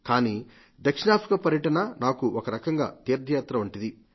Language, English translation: Telugu, But for me the visit to South Africa was more like a pilgrimage